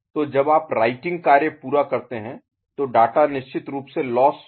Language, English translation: Hindi, So, when you complete the writing operation that data is lost of course, right